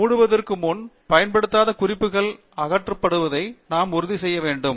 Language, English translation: Tamil, Now, before we close, what we need to ensure is that unused references are removed